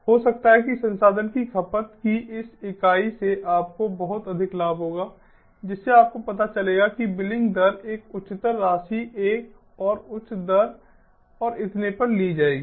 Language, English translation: Hindi, maybe this much unit of resource consumption will lead to this much, you know, ah billing, ah, ah rate, a higher amount will lead to another higher rate, and so on